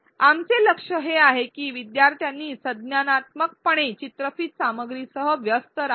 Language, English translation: Marathi, Our goal is to make learners cognitively engage with the video content